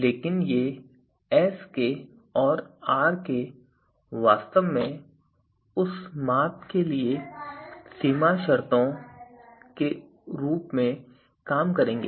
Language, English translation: Hindi, But these Sk and Rk will actually serve as a boundary condition for that measure as a boundary measures, right